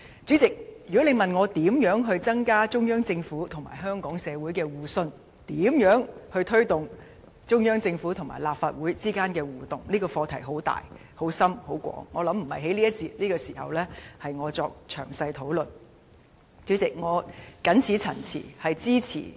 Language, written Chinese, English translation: Cantonese, 主席，如果你問我該如何增加中央政府與香港社會的互信，以及該如何推動中央政府與立法會之間的互動，由於這項課題涉及範疇很大、很深及很廣，我相信並非我在這一節或此時能詳細討論。, President if you ask me how to increase mutual trust between the Central Government and Hong Kong society and how to promote interaction between the Central Government and the Legislative Council since the scope of the issue is so extensive and profound I believe I cannot discuss it in detail in this session or at this moment